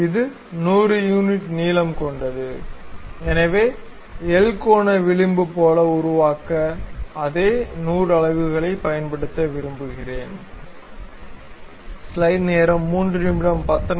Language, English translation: Tamil, So, because it is 100 unit in length; so I would like to use same 100 units to make it like a L angular bracket